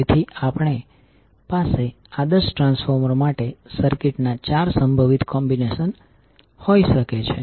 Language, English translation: Gujarati, So we can have four possible combinations of circuits for the ideal transformer